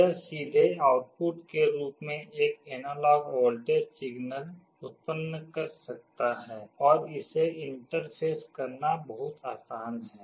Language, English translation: Hindi, It can directly generate an analog voltage signal as output, and it is very easy to interface